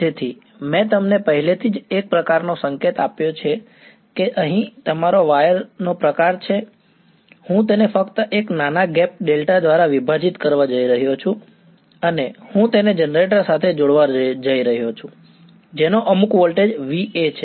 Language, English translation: Gujarati, So, one I have already sort of indicated to you that here is your sort of wire, I am just going to split it by a small gap delta and I am going to connect this to a generator which puts some voltage V A